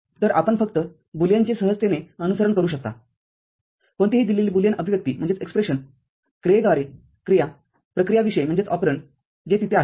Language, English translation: Marathi, So, you can just simply follow the Boolean any given Boolean expression, operation by operation, with the operands that are there